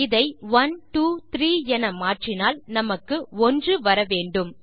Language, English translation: Tamil, Changing this to 123, will hopefully give us 1